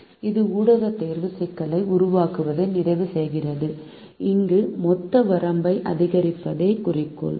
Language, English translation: Tamil, so this completes the formulation of the media selection problem, where the objective is to maximize the total reach